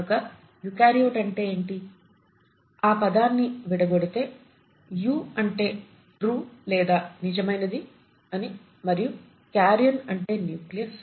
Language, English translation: Telugu, So what does eukaryote really mean, I mean if you were to split the word, “Eu” means true while karyon as I told you last time, it means nucleus